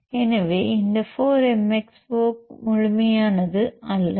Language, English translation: Tamil, So, this 4 MXO is not the complete one